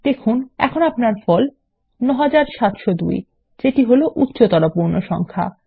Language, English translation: Bengali, You see that the result is now 9702 which is the higher whole number